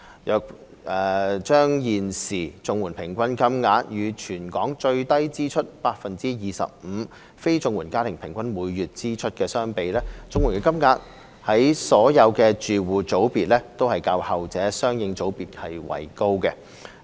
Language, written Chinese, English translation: Cantonese, 若把現時綜援平均金額與全港最低支出 25% 的非綜援家庭每月的平均支出相比，綜援金額在所有住戶組別都較後者的相應組別為高。, When comparing the average monthly CSSA payments with the average monthly expenditure of non - CSSA households in the lowest 25 % expenditure group the CSSA payments of all households categories are higher than the latter in the corresponding categories